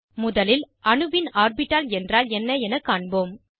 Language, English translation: Tamil, Let us first see what an atomic orbital is